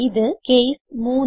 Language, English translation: Malayalam, And this is case 3